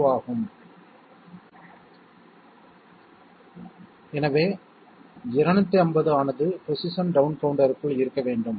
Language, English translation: Tamil, 02 therefore, 250 should be residing inside the position down counter